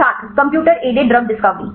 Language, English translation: Hindi, Computer aided drug discovery